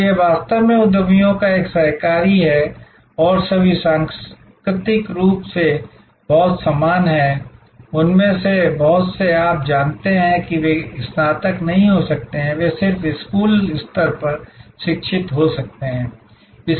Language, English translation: Hindi, So, this is actually a cooperative of entrepreneurs and there all culturally very similar, many of them may be you know not graduates, they may be just educated at school level